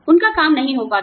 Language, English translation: Hindi, Their work, does not get done